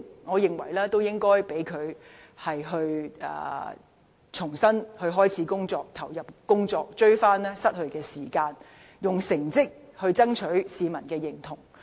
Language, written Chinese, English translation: Cantonese, 我認為應讓她重新投入工作，追回失去的時間，用成績爭取市民的認同。, In my view she should be allowed to return to work to make up for the time lost so that she can gain the recognition of the public with her performance